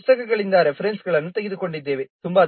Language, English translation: Kannada, We have taken the references from these books